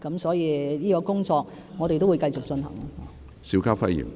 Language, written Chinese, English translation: Cantonese, 所以，這方面的工作，我們會繼續進行。, In this connection we will continue to carry out such work